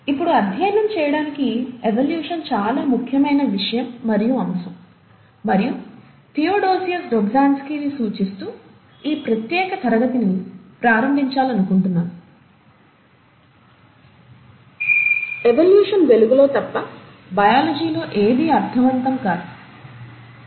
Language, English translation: Telugu, Now, evolution is a very important subject and topic to study, and I would like to start this particular class by quoting Theodosius Dobzhansky, that “Nothing in biology makes sense except in the light of evolution”